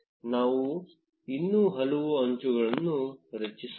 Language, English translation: Kannada, Let us create some more edges